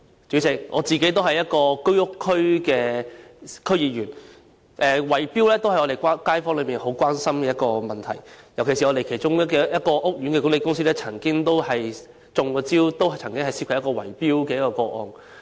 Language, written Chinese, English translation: Cantonese, 主席，我自己也是居屋選區的區議員，圍標是我們的街坊很關注的問題，尤其是我們其中一個屋苑的管理公司亦曾受害，發生了一宗圍標個案。, President I am a District Council member serving a constituency which comprises Home Ownership Scheme estates . Bid - rigging is a major concern to our residents particularly because the management company of one of our estates has also been a victim of a bid - rigging case